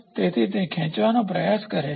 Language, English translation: Gujarati, So, it tries to stretch